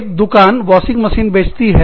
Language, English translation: Hindi, A shop sells the washing machine